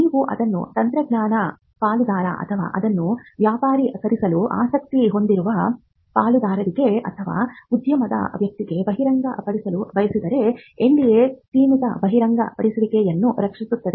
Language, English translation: Kannada, But if you want to disclose it to a technology partner or a partner who is interested in commercializing it or a person from the industry then an NDA can protect a limited disclosure